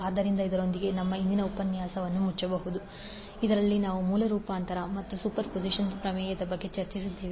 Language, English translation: Kannada, So with this, we can close our today’s session in which we discussed about the source transformation as well as superposition theorem